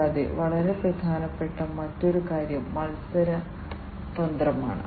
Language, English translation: Malayalam, And also another very important thing is the competitive strategy